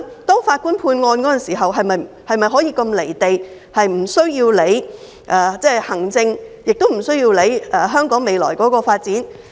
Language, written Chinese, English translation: Cantonese, 當法官判案時，是否可以如此"離地"，無須理會行政，也無須理會香港未來的發展？, When a judge makes a ruling can he be so detached from reality caring neither the administration nor the future development of Hong Kong?